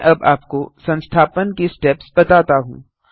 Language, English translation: Hindi, I shall now walk you through the installation steps